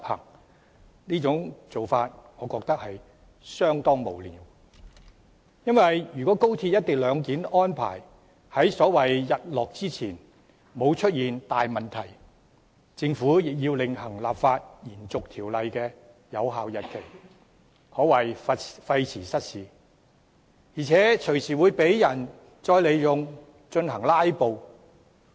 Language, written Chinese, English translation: Cantonese, 我認為這種做法相當無聊，因為即使高鐵的"一地兩檢"安排在所謂"日落"之前沒有出現大問題，政府亦要另行立法延續條例的有效日期，可謂費時失事，而且隨時會再被人用以進行"拉布"。, I consider it rather frivolous because even if nothing goes wrong with the co - location arrangement of XRL before the so - called sunset the Government still has to extend the validity period of the Ordinance in a separate legislative exercise which is rather cumbersome and will become a convenient excuse for filibustering